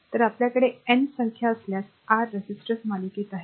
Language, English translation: Marathi, And if you have a n number of resistor Rn